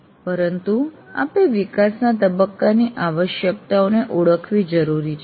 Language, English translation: Gujarati, But you must recognize the requirements of development phase